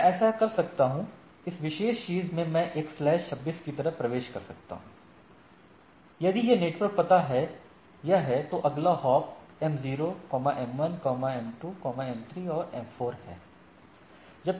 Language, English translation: Hindi, So, I can so, in this particular thing I can have a entry like slash 26 if this network address is this, next hop is m0, m1, m2, m3 and m4